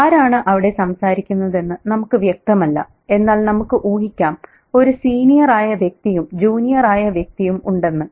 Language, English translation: Malayalam, We don't know who is doing the talking, but we can guess there is a senior, there is a junior